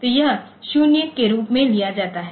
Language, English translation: Hindi, So, that is taken as 0